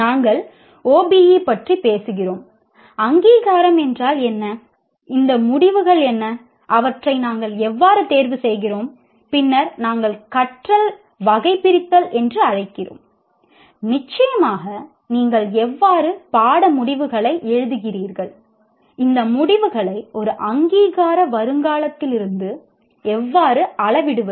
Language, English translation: Tamil, We talk about OBE, what is accreditation, what are these outcomes, how do we choose them, and then there is what we call taxonomy of learning and how do you write course outcomes and how do you measure the attainment of these outcomes from an accreditation perspective